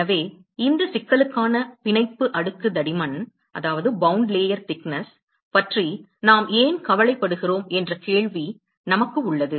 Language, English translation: Tamil, So, we have a question why are we so concerned about bound layer thickness for this problem